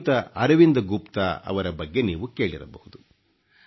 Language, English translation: Kannada, You must have heard the name of Arvind Gupta ji